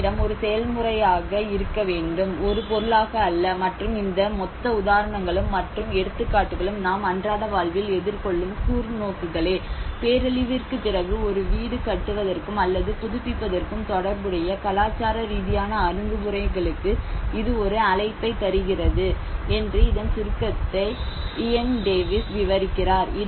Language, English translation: Tamil, Shelter must be considered as a process but not as an object, and this whole set of cases and examples which we are facing in our daily observations it opens a call for more culturally sensitive approaches to home making or remaking in the aftermath of disasters